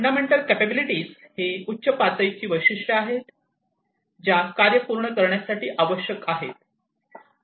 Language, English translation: Marathi, Fundamental capabilities are high level specifications, which are essential to complete business tasks